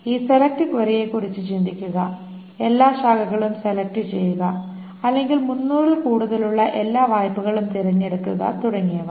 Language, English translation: Malayalam, Think of this select query, select all branches or select all loans whose amount is greater than 300, etc